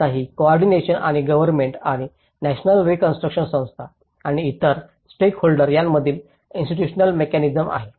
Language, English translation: Marathi, Now, this is coordination and the institutional mechanism between the government and the national reconstruction agencies and other stakeholders